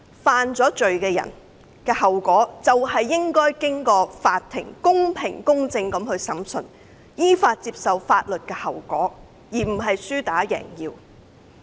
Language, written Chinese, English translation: Cantonese, 犯罪的人的後果是，依法接受法庭公平公正的審訊，並承擔後果，而不是輸打贏要。, Offenders should be tried by the court fairly and impartially according to the law and they should bear the consequences rather than adopting a lose - hit win - take attitude